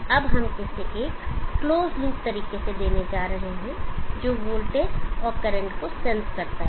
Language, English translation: Hindi, We are now going to give this in a close look fair sensing the voltage and the current